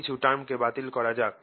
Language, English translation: Bengali, lets cancel a few terms